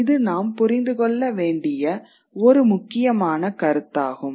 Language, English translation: Tamil, That is an important concept for us to understand